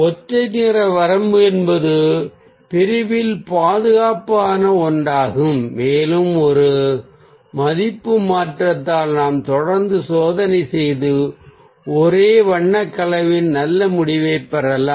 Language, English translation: Tamil, so monochromatic range is something which is the ah safest in the category and ah we can keep on doing ah experiment by a value change and get good result in a monochromatic colour combination